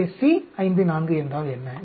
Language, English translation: Tamil, So, what is C 5 4